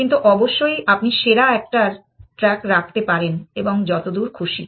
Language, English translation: Bengali, But, of course you can keep track of the best one and so far and so far essentially